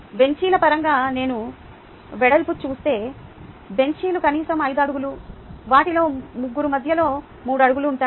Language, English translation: Telugu, the width, if i go by the benches, the benches would at least be five feet, three of them with about three feet in between